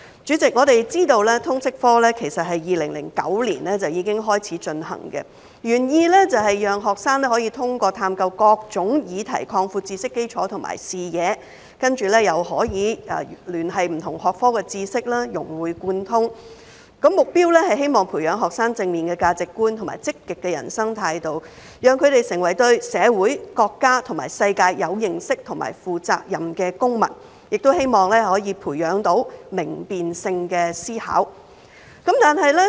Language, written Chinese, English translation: Cantonese, 主席，我們知道通識科其實是在2009年已開始推行，原意是讓學生可以通過探究各種議題擴闊知識基礎和視野，以及可以聯繫不同學科的知識，融會貫通，而目標是希望培養學生正面的價值觀和積極的人生態度，讓他們成為對社會、國家和世界有認識和負責任的公民，亦希望可以培養明辨性的思考。, President as we know LS has been implemented since 2009 with the original intent of broadening students knowledge base and horizons through the study of a wide range of issues and enabling them to make connections with and integrate the knowledge across different disciplines . It aims at helping students develop positive values and attitudes towards life so that they can become informed and responsible citizens of society our country and the world . It also aims at nurturing students critical thinking